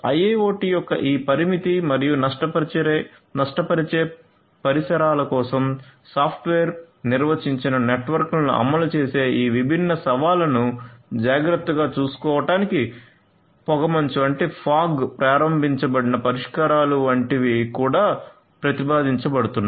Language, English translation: Telugu, So, there are like fog enabled solutions that are also being proposed in order to take care of these different challenges of implementing software defined networks for this constraint and constraint and lossy environments of IIoT